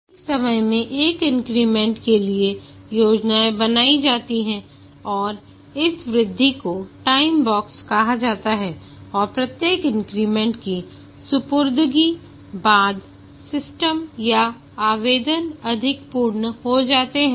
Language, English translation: Hindi, The plans are made for one increment at a time and this increment is called as a time box and after each increment is delivered the system or the application becomes more complete